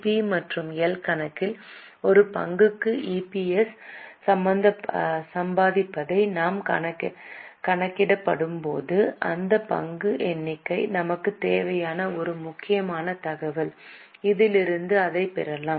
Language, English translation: Tamil, When we will calculate the EPS earning per share in P&L account, this number of share is an important information which we need